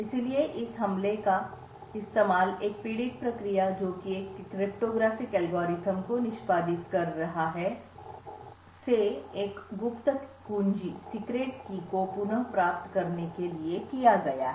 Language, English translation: Hindi, So this attacks has been used very famously retrieve a secret keys from a victim process which is executing a cryptographic algorithm